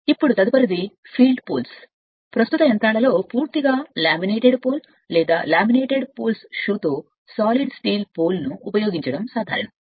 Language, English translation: Telugu, Now next is field poles, in present day machines it is usual to use either a completely laminated pole, or solid steel poles with laminated polls shoe right